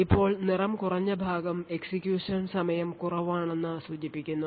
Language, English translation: Malayalam, Now a lighter color would indicate that the execution time measured was low